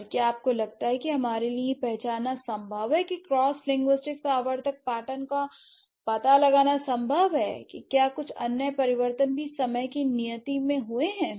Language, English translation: Hindi, And do you think it's possible for us to find out a cross linguistic recurrent pattern to identify if some other changes have also happened in the due course of time